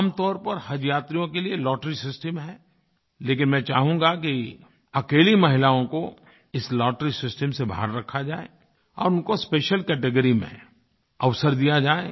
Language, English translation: Hindi, Usually there is a lottery system for selection of Haj pilgrims but I would like that single women pilgrims should be excluded from this lottery system and they should be given a chance as a special category